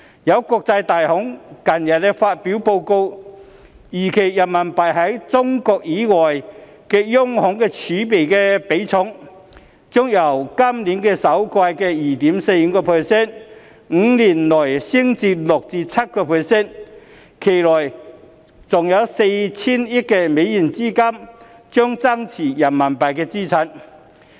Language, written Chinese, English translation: Cantonese, 有國際大行近日發表報告，預期人民幣在中國以外的央行儲備的比重，將由今年首季的 2.45%， 於5年內升至 6% 至 7%， 期內還有 4,000 億美元資金將增持人民幣資產。, According to a report of a major international bank recently released the share of RMB in central bank reserves outside of China is expected to rise from 2.45 % in the first quarter of this year to 6 % to 7 % within five years whereas an additional capital of US400 billion will also be held in RMB - denominated assets over the same period